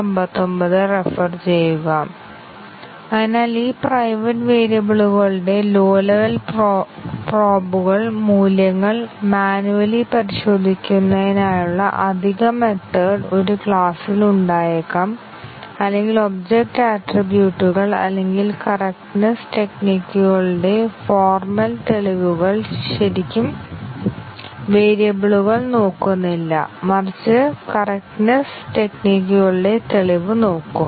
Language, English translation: Malayalam, So, we might have additional methods in a class which report the values of these private variables low level probes to manually inspect object attributes or formal proof of correctness techniques do not really look at the variables, but proof of correctness techniques